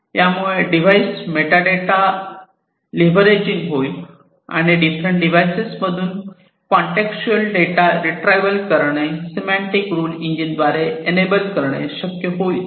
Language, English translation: Marathi, And this leveraging, the device metadata and enabling the retrieval of contextual data from these different devices, will be done by the semantic rule engine